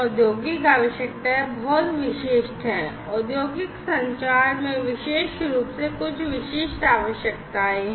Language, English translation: Hindi, Industrial requirements are very specific, industrial communication particularly has certain specific requirements